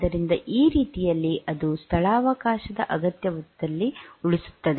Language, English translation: Kannada, So, in this way it will save in the space requirement